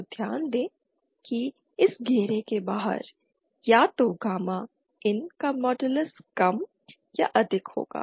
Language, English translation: Hindi, So note that either outside of this circle either modulus of gamma IN will be lesser or greater than 1